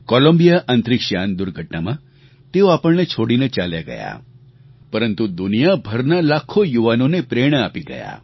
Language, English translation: Gujarati, She left us in the Columbia space shuttle mishap, but not without becoming a source of inspiration for millions of young people the world over"